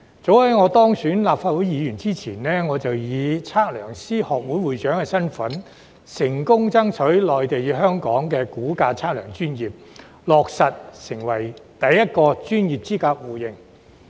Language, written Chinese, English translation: Cantonese, 早於當選立法會議員前，我便以香港測量師學會會長身份，成功爭取內地與香港的估價測量專業，落實成為首個專業資格互認。, Long before I was elected as a Legislative Council Member I have successfully striven for the first mutual recognition of professional qualifications of surveying and valuation professionals in Hong Kong and Mainland in my capacity as the President of the Hong Kong Institute of Surveyors